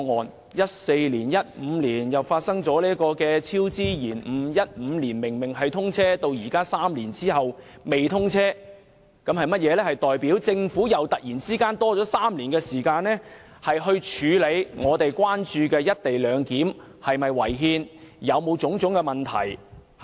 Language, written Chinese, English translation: Cantonese, 2014年、2015年發生超支、延誤 ，2015 年高鐵本應通車，到現在3年後仍然未通車，代表政府突然又多了3年時間，處理我們關注的"一地兩檢"是否違憲、有否導致種種問題。, There were cost overruns and delays in 2014 and 2015 and three years after 2015 the scheduled year of its commissioning XRL has yet to be commissioned . This means that the Government has unexpectedly got three more years to address our concerns such as whether the co - location arrangement is unconstitutional and whether it has given rise to various problems